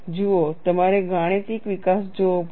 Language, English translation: Gujarati, See, you have to look at the mathematical development